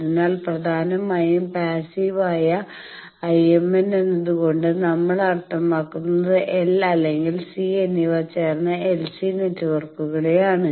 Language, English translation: Malayalam, So, mainly passive IMN by that we mean LC networks composed of either L or C